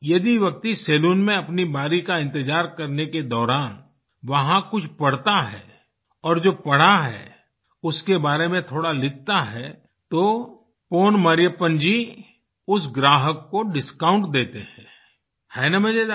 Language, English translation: Hindi, If a customer, while waiting for his turn, reads something from the library and writes on that, Pon Marriyappan, offers him a discount…